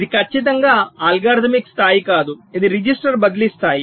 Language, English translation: Telugu, this is not exactly algorithmic level, this is